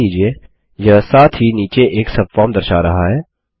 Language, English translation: Hindi, Notice it also shows a subform at the bottom